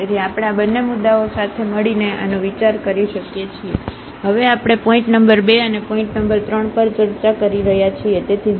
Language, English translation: Gujarati, So, we can consider this to these 2 points together, so we are now discussing point number 2 and point number 3, so 0 and plus minus half